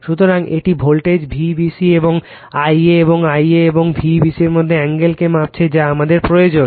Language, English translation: Bengali, So, it measures the voltage V b c and the I a and the angle between the I a and V b c that we need